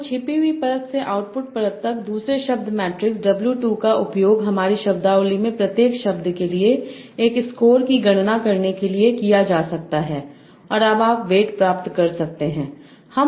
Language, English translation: Hindi, So from the hidden layer to output layer the second weight matrix w2 can be used to compute a score for each word in my vocabulary and now so you can obtain the weights how do you convert them to probability a score for each word in my vocabulary